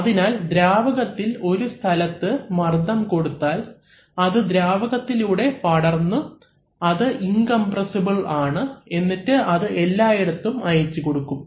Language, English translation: Malayalam, So, if we apply pressure in a fluid at a given point then that same pressure is transmitted through the fluid which is supposed to be incompressible and gets applied everywhere else